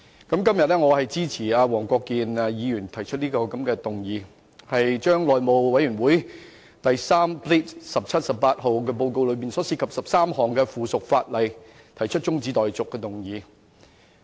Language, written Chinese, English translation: Cantonese, 我今天支持黃國健議員提出議案，就內務委員會第 3/17-18 號報告內的13項附屬法例中止待續。, Today I support the motion moved by Mr WONG Kwok - kin to adjourn the 13 items of subsidiary legislation as set out in Report No . 317 - 18 of the House Committee